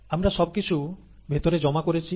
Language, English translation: Bengali, We dump everything in, okay